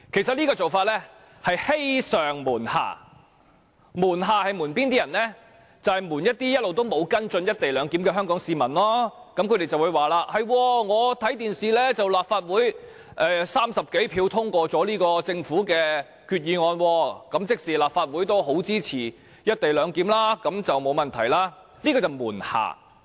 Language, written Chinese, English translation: Cantonese, 這做法其實是欺上瞞下，"瞞下"所指的是向那些一直沒有跟進"一地兩檢"的香港市民隱瞞事實，市民會說在電視上看到立法會以30多票贊成，通過了這項政府議案，即立法會也相當支持"一地兩檢"，那麼便應該沒有問題吧，這便是"瞞下"。, Such an approach is in fact deceiving its superiors and deluding the public . Deluding the public means it is withholding the truth from the people of Hong Kong who have not followed up the co - location issue . The people will say they have seen on television that the Legislative Council has passed this Government motion with some 30 votes in favour of it that means the Legislative Council considerably supports the co - location arrangement so there should be no problem